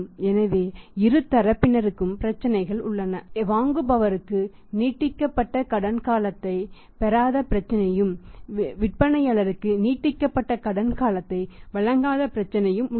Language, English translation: Tamil, So, both the sides have the problems buyer also has a problem not to get the extended credit period and seller also as a problem not to give the extended credit period